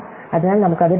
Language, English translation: Malayalam, So, we get it 2